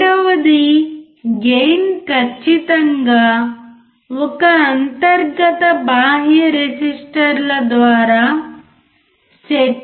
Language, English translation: Telugu, Second, the gain can be precisely set by a single internal external resistors